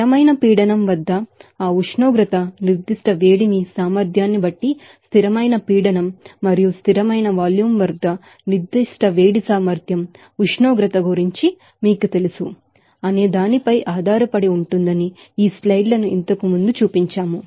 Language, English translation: Telugu, These slides also earlier have shown that how specific heat capacity at constant pressure and constant volume depending on that temperature specific heat capacity at constant pressure depends on you know the temperature